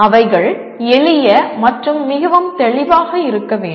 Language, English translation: Tamil, And they should be simple and very clear